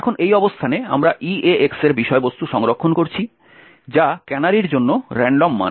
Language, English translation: Bengali, Now at this location we are storing the contents of EAX which is the random value for the canary